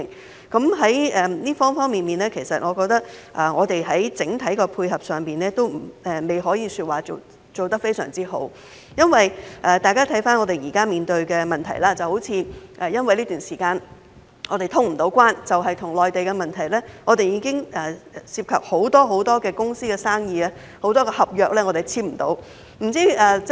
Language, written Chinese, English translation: Cantonese, 在各個方面，我認為現時在整體配合上，仍然未可以說是做得相當好。因為，如果大家回看我們現時面對的問題，例如在這段時間無法通關，單是與內地的問題，已經涉及很多公司的生意及有很多合約無法簽訂。, In my view at present we cannot yet be described as having done quite a good job in terms of coordination on all fronts because as noted in a review of the problems we are facing now such as the impossibility to open up the boundary crossings during this period of time the problems with the Mainland alone have already involved the business of numerous companies and rendered many contracts unable to be signed